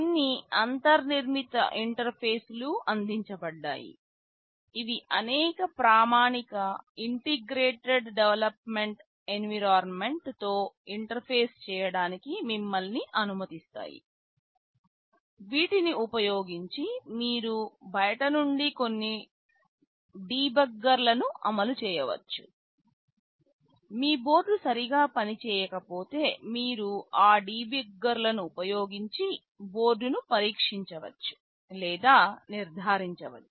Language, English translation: Telugu, There are some inbuilt interfaces provided that allows you to interface with several standard integrated development environments using which you can run some debuggers from outside, if your board is not working properly you can test or diagnose the board using those debuggers